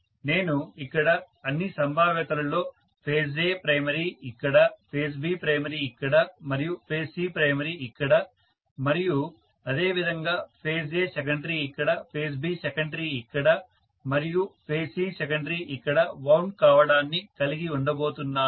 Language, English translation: Telugu, So I am going to have in all probability A phase primary wound here, B phase primary wound here and C phase primary wound here and similarly A phase secondary wound here, B phase secondary wound here and C phase secondary wound here